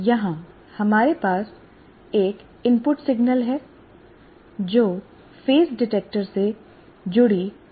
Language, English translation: Hindi, That means you have an input signal which is square wave here to this and this is a phase detector